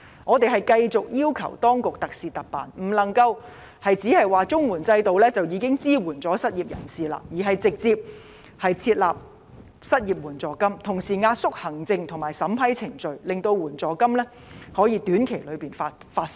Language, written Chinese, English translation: Cantonese, 我們繼續要求當局特事特辦，不能夠只是說綜合社會保障援助制度已經可以支援失業人士，而是直接設立失業援助金，同時壓縮行政和審批程序，令援助金可以短期內發放。, We will keep on pressing the Administration to make special arrangements for special circumstances . Instead of claiming that the Comprehensive Social Security Assistance CSSA Scheme alone can support the unemployed it should directly set up an unemployment assistance scheme while at the same time compress administrative and approval procedures so that assistance payments can be disbursed within a short period of time